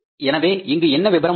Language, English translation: Tamil, So, what is the particulars here